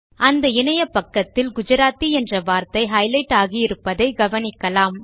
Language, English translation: Tamil, You will observe that the word Gujarati on the page gets highlighted